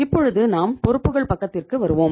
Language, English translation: Tamil, Now we have come to the liability side we came